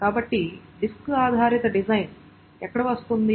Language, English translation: Telugu, So where is the disk based design coming